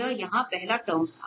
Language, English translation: Hindi, This was the first term here